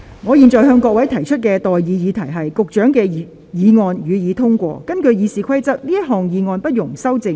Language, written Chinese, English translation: Cantonese, 我現在向各位提出的待議議題是：民政事務局局長動議的議案，予以通過。, I now propose the question to you and that is That the motion moved by the Secretary for Home Affairs be passed